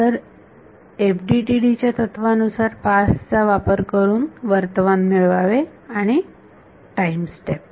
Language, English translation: Marathi, So, the philosophy in FDTD has been use the past to get to the present and time step